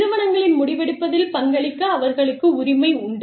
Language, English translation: Tamil, And, they have a right to contribute, to the firm's decision making